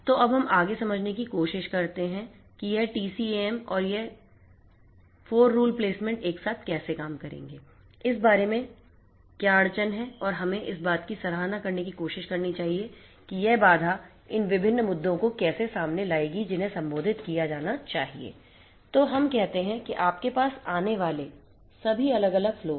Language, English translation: Hindi, So, let us now try to understand further how this TCAM and this 4 rule placement is going to work together what is this constant all about and we have to try to appreciate how this constant is going to bring in these different different issues which will have to be addressed